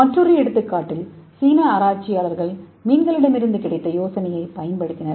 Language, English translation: Tamil, So another idea is a Chinese researchers they got the idea from the fish